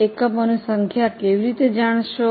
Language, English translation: Gujarati, How do you know the number of units